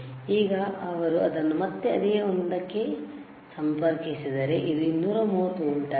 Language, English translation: Kannada, Now he will again connect it to the same one, this is 230 volts, all right